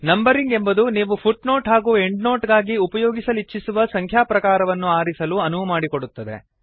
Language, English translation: Kannada, Numbering allows you to select the type of numbering that you want to use for footnotes and endnotes